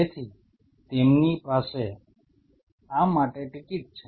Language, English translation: Gujarati, So, they have this ticket for it